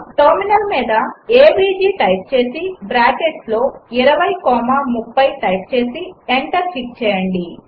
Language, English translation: Telugu, Let us test our function, Type on terminal avg within bracket 20 comma 30 and hit enter